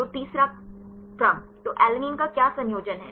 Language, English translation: Hindi, So, third sequence; so, what is the composition for alanine